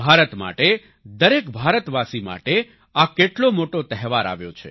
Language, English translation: Gujarati, What a great opportunity has come for India, for every Indian